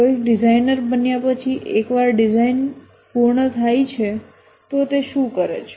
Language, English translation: Gujarati, Somebody who is a designer, once design is complete, what does he do